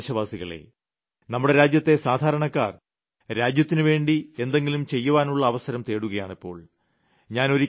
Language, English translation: Malayalam, My dear countrymen, the common man of this country is always looking for a chance to do something for the country